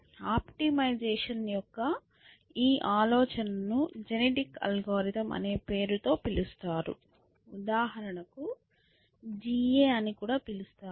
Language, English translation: Telugu, So, this idea of optimization is called by the known name of genetic algorithms, also called GAS for example